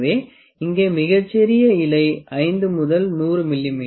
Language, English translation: Tamil, So, the finest leaf here is 5 by 100